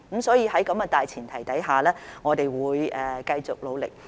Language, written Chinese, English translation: Cantonese, 所以，在這個大前提下，我們會繼續努力。, Thus under this premise we will continue to put in efforts